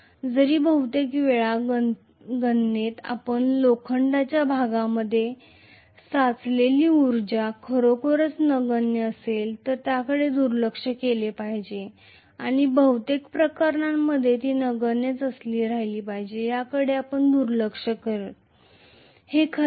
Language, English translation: Marathi, Whereas most of the times in many of the calculations we tend to ignore whatever is the energy stored in the iron portion if it is really negligible and most of the cases it happens to be negligible, that is the reason we neglect it, right